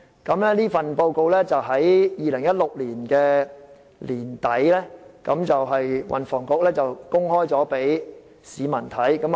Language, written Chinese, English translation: Cantonese, 運輸及房屋局在2016年年底公開研究報告供市民查閱。, The Transport and Housing Bureau released the study report to the public at the end of 2016